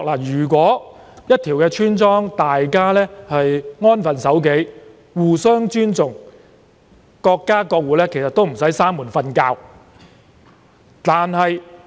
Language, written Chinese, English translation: Cantonese, 如果一條村莊的村民能安分守己、互相尊重，各家各戶其實無需關門睡覺。, If the inhabitants of a village can behave themselves and respect one another they actually need not lock the door during sleep at night